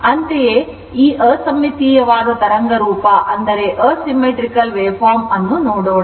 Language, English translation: Kannada, So, this is unsymmetrical wave form